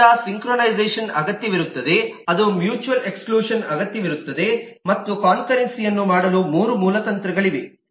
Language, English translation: Kannada, so that needs synchronization, that needs mutual exclusion to be put in place and there are three basic strategies to do that for concurrency